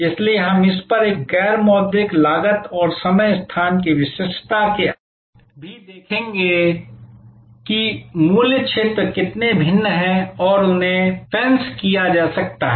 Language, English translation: Hindi, So, we will there look at also besides this a non monitory costs and time and location specificity, we will see how different a price zones and can be fenced